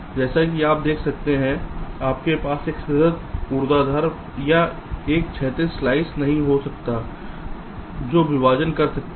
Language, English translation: Hindi, as you can see, you cannot have a continuous vertical or a horizontal slice that can partition this floor plan